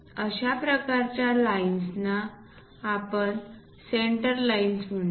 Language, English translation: Marathi, This kind of lines we call center lines